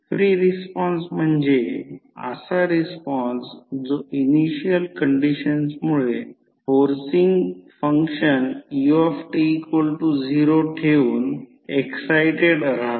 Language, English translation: Marathi, Free response means the response that is excited by the initial conditions only keeping the forcing function that is ut equal to 0